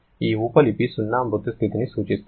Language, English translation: Telugu, This subscript 0 refers to the dead state